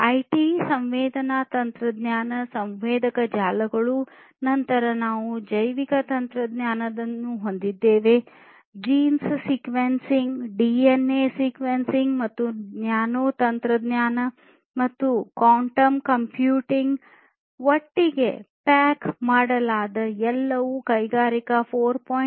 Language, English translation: Kannada, IT, then sensors, sensing technology, sensor networks; then we have the biotechnology gene sequencing, DNA sequencing and so on; nanotechnology and quantum computing, everything packaged together is helping in the transformation to the fourth industrial age which is Industry 4